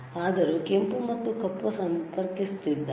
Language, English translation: Kannada, So, he is connecting the red and black, right